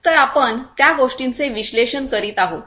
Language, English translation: Marathi, So, you would be analyzing those things